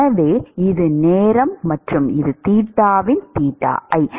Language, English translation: Tamil, So, this is time and this is theta by theta i